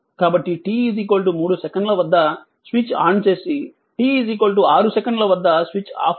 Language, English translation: Telugu, So, at t is equal to 3, second say it is switched off switched on and t is equal to 6 it is switched off